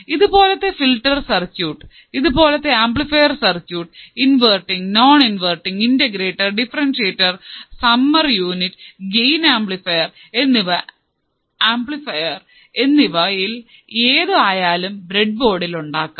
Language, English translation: Malayalam, And similar kind of filter circuits and similar kind of this amplifier circuits, whether it is a inverting, non inverting, integrator, differentiator, summer right, unity gain amplifier, we will see the examples how we can implement those circuits on the breadboard